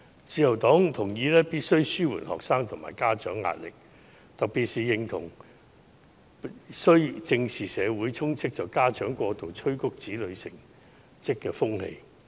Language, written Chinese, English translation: Cantonese, 自由黨同意必須紓緩學生和家長的壓力，特別認同須正視社會充斥着家長過度催迫子女成績的風氣。, The Liberal Party agrees that it is necessary to alleviate the pressure on students and parents particularly the need to squarely address the prevalent trend in society that parents put excessive pressure on their children over academic achievements